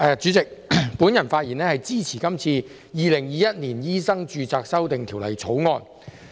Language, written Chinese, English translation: Cantonese, 主席，我發言支持《2021年醫生註冊條例草案》。, President I speak in support of the Medical Registration Amendment Bill 2021 the Bill